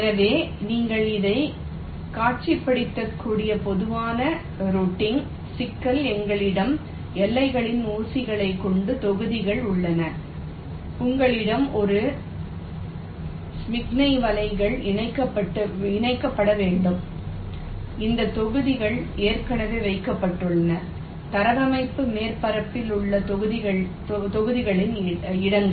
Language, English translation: Tamil, ok, so the general routing problem you can visualize like this: you have a set of blocks with pins on the boundaries, you have a set of signal nets which need to be connected and these blocks are already placed locations of the blocks on the layout surface